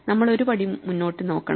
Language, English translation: Malayalam, So, we should look 1 step ahead